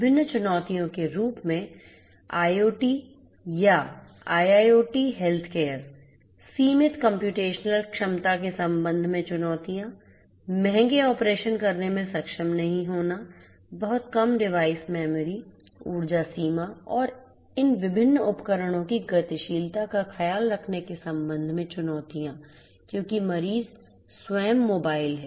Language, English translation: Hindi, IoT or IIoT healthcare as different challenges; challenges with respect to limited computational capability, not being able to perform expensive operations, challenges with respect to having very less device memory, energy limitation and also taking care of the mobility of these different devices because the patients themselves are mobile